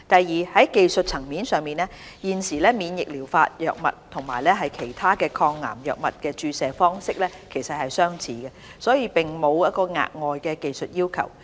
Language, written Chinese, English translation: Cantonese, 二在技術層面上，現時免疫療法藥物與其他抗癌藥物的注射方式相似，並沒有額外的技術要求。, 2 On the technical side the current injection method of immunotherapy drugs is similar to that of other anti - cancer drugs and does not require any additional techniques